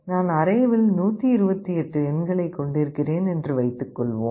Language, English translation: Tamil, Suppose I have 128 numbers in the array